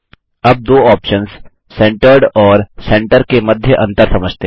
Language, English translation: Hindi, Let us now understand the difference between the two options Centered and Centre